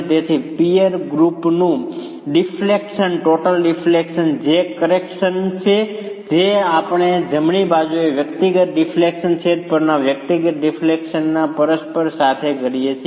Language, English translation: Gujarati, The deflection total deflection of the peer group which is the correction that we are doing as the right hand side with the individual deflections, reciprocals of the individual deflections on the denominator